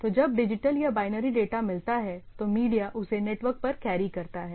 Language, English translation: Hindi, So, when I get say digital or binary data which is carried over the media